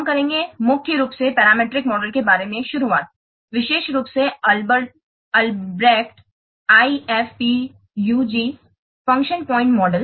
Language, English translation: Hindi, We'll mainly start about the parameter models, especially the Albreached I F UG function point model